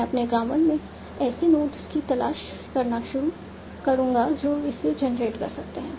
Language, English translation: Hindi, I will start by seeing what are the notes in my grammar that can generate this